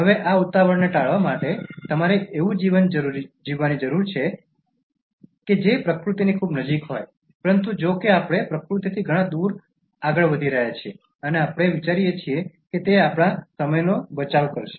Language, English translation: Gujarati, Now in order to avoid this hurry, you need to live a life that is very close to nature, but however we are moving far away from nature and we are inventing things thinking that they will save our time